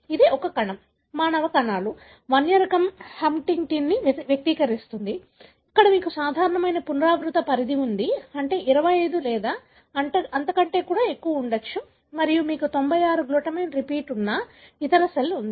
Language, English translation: Telugu, This is a cell, human cells, expressing either the wild type Huntingtin, where you have a normal repeat range, which is, could be, 25 or so and you have a other cell in which have 96 glutamine repeat